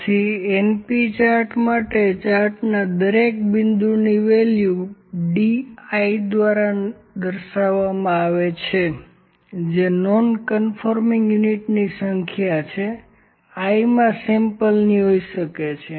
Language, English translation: Gujarati, So, for the np charts, each point in the chart is given by a value node denoted by D i which is the number of nonconforming units maybe of the I th sample, ok